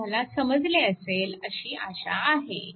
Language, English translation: Marathi, So, hope you have understood this right